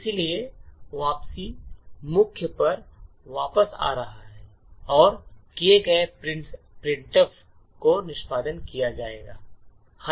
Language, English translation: Hindi, Therefore, the return can come back to the main and printf done would get executed